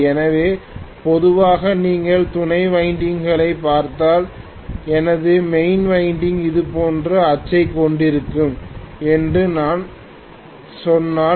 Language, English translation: Tamil, So normally if you look at the auxiliary winding if I say that my main winding is going to have the axis like this